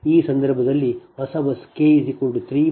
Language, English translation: Kannada, that new bus k is equal to three and j is equal to one